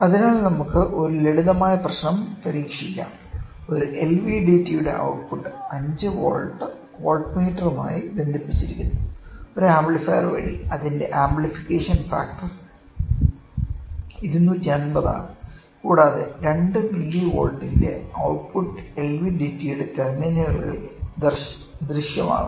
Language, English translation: Malayalam, So, let us try a simple problem; the output of an LVDT connected to a 5 volt voltmeter through an amplifier whose amplification factor is 250 and output of 2 millivolt appears across terminals of LVDT, when core moves at a distance of 0